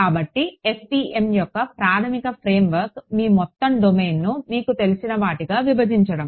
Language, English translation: Telugu, So, the basic frame work of FEM is break up your whole domain into such you know